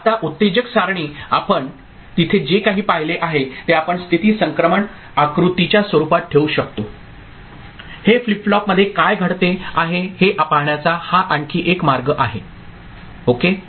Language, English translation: Marathi, Now the excitation table, whatever we have seen there, we can put in the form of state transition diagram, this is another way of visualizing what is happening in a flip flop ok